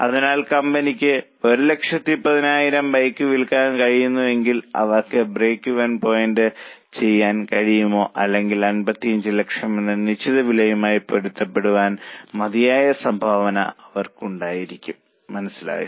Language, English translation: Malayalam, So, if the company is able to sell 11,000 bikes, they would just be able to break even or they would just have enough contribution to match the fixed cost of 55 lakhs